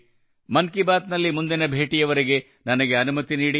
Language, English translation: Kannada, I take leave of you till the next episode of 'Mann Ki Baat'